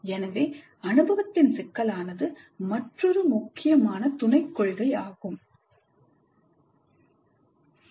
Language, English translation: Tamil, So the complexity of the experience is another important sub principle